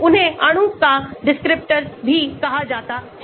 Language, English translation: Hindi, they are also called a descriptors of the molecule